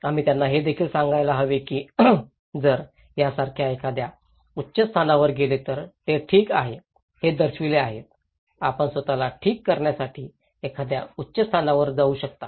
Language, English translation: Marathi, We should also tell them that if they can evacuate to a higher place like these people is showing that okay, you can go to a higher place to protect yourself okay